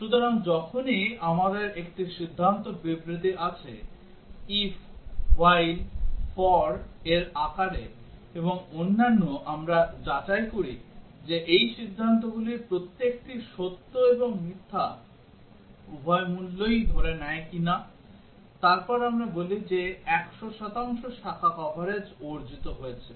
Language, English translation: Bengali, So, whenever we have a decision statement either in the form of if, while, for and so on, we check whether each of these decisions assumes both true value and false value, then we say that 100 percent branch coverage is achieved